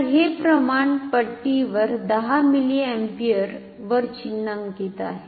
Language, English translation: Marathi, So, this is the 10 milliampere marking on the scale